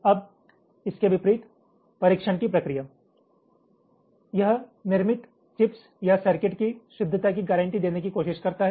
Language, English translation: Hindi, now, in contrast, the process of testing, ah, it tries to guarantee the correctness or the manufactured chips or circuits